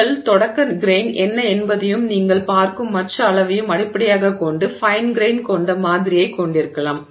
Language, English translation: Tamil, So, based on what your starting grain is and the other size that you are looking at you can have a fine grain sample